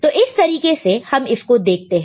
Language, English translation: Hindi, This is the way you look at it